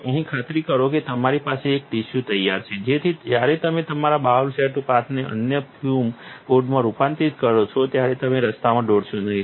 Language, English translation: Gujarati, Here, make sure you have a tissue ready so you do not spill on the way when you transform your bowl set paths over to the other fume hood